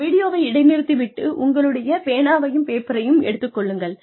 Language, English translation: Tamil, Please, pause this video, and take out your pens and papers